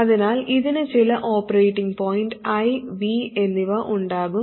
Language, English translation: Malayalam, So it will have certain operating point, I and V